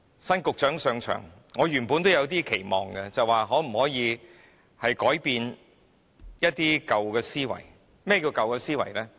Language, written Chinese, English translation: Cantonese, 新局長上任，我原本有點期望，便是一些舊思維能否改變。, With a new Secretary assuming office initially I had some expectations for some old mindset to change